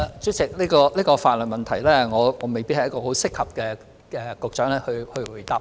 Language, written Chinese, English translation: Cantonese, 主席，對於這項法律問題，我未必是作出回答的適當人選。, President with regard to this legal question I may not be the appropriate person to offer an answer